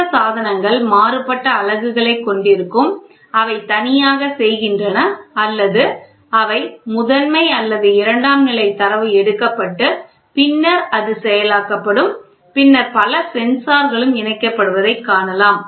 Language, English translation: Tamil, These devices will have varying units and they do single or that is primary or secondary data item is taken and then it is processed and then you can see multiple sensors also getting linked